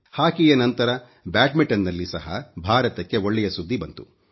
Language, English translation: Kannada, After hockey, good news for India also came in badminton